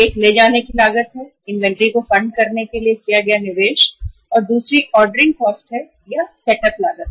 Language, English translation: Hindi, One is the carrying cost, the investment made to fund the inventory and other is the ordering cost or the setup cost